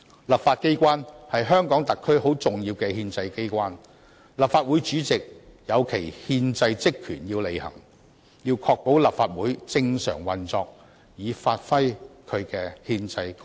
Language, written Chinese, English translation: Cantonese, 立法機關是香港特別行政區很重要的憲制機關，立法會主席要履行其憲制職權，要確保立法會正常運作以發揮其憲制功能。, The legislature is a very important constitutional organ in the Hong Kong Special Administrative Region . The President of the Legislative Council must perform his constitutional duties and ensure that the Council operates normally to fulfil its constitutional functions